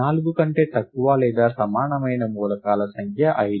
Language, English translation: Telugu, The number of elements of value less than or equal to 4 is 5